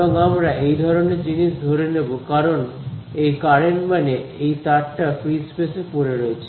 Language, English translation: Bengali, And, and we can make this assumption because this this current I mean this wire is lying in free space